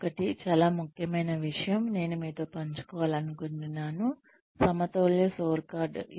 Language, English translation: Telugu, The other, very important thing, that I would like to share with you, is the balanced scorecard